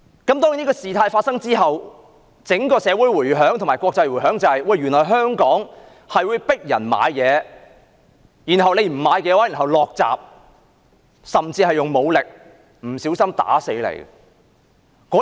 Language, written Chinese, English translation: Cantonese, 當然，在事件發生之後，引起整個社會及國際迴響，原來香港會迫使旅客購物，不購買的話就會關上店鋪大門甚至使用武力，不小心把旅客打死。, Certainly the incident caused an uproar in the whole society and the international world . People realized that visitors were coerced into shopping in Hong Kong and if they made no purchase they could not leave the shop or would even be brutally treated and visitors might inadvertently be killed